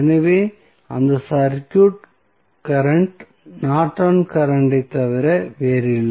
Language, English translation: Tamil, So, that circuit current would be nothing but the Norton's current